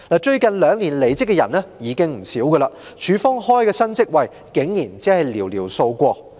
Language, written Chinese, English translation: Cantonese, 最近兩年離職的員工已經不少，港台開設的新職位卻只有寥寥數個。, Quite a number of staff have left in the last two years but only a few new posts have been created in RTHK